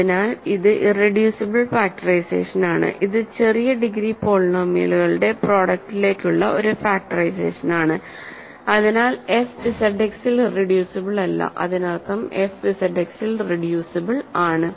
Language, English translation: Malayalam, So, it is an irreducible factorization, it is a factorization into product of smaller degree polynomials, hence f is not irreducible in Z X that means, f is reducible in Z X